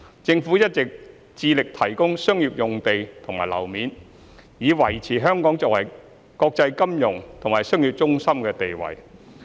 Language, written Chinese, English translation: Cantonese, 政府一直致力提供商業用地和樓面，以維持香港作為國際金融和商業中心的地位。, The Government is all along committed to providing commercial land and floor space to maintain Hong Kongs position as an international financial and commercial centre